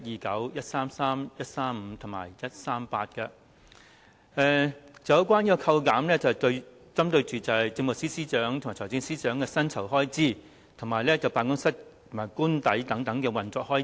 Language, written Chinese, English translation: Cantonese, 這些修正案旨在扣減政務司司長和財政司司長的薪酬開支，以及其辦公室和官邸的運作開支。, These amendments seek to reduce the expenses on the salaries of the Chief Secretary for Administration and the Financial Secretary and the operational expenses of their offices and official residences